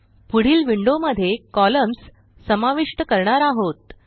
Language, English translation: Marathi, In the next window, we will add the columns